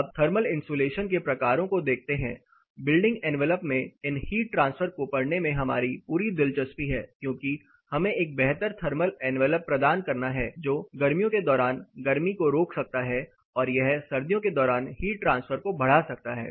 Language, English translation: Hindi, (Refer Slide Time: 28:54) Now looking at the types of thermal insulation, so the whole interest for us in studding these heat transfer in building envelop is to provide a better thermal envelop which can resist heat during summers and it can enhance heat transfer through during winter